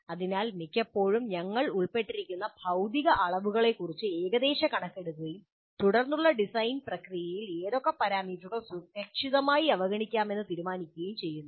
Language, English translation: Malayalam, So often we make rough estimates of the physical quantities involved and make a judgment as to which parameters can be safely ignored in the subsequent design process